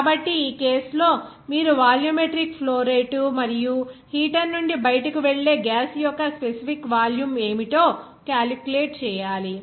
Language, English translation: Telugu, So, in this case you have to calculate what should be the volumetric flow rate and the specific volume of the gas that will leave the heater